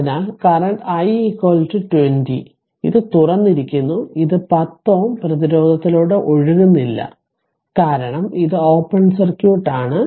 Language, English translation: Malayalam, So, current through this I told you 20 upon this is open this no current is flowing through 10 ohm resistance, because it is open circuit